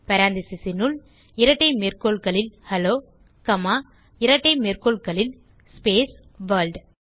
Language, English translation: Tamil, Within parentheses in double quotes Hello comma in double quotes space World